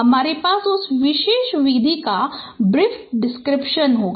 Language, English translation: Hindi, I will have a brief description of that particular method